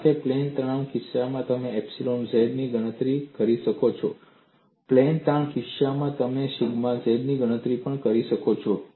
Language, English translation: Gujarati, Because you could calculate epsilon z in the case of plane stress; you could also calculate sigma z in the case of plane strain; they are dependent on other quantities